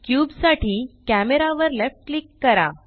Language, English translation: Marathi, Left click camera for cube